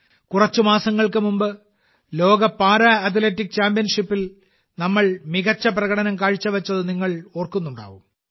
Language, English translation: Malayalam, You might remember… a few months ago, we displayed our best performance in the World Para Athletics Championship